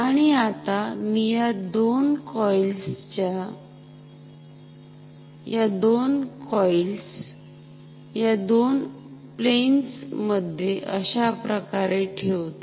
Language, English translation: Marathi, And now let me place two coils in these two planes like this